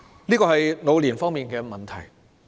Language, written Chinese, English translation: Cantonese, 以上是長者方面的問題。, What I have just mentioned are issues involving elderly people